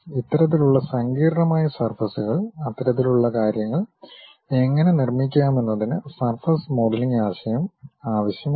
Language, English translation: Malayalam, These kind of things have surfaces, a complicated surfaces; how to really make that kind of things requires surface modelling concept